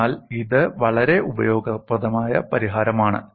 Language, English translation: Malayalam, So it is a very useful solution